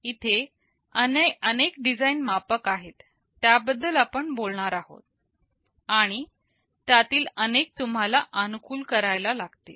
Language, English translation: Marathi, There are several design metrics we shall be talking about, and you may have to optimize several of them